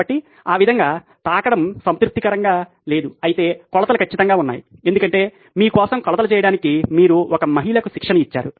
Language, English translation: Telugu, So, that way no touching is satisfied whereas still the measurements are perfect because you’ve trained one of the ladies to actually do the measurements for you